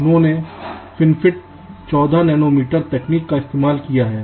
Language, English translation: Hindi, they have used fin fet fourteen nanometer technology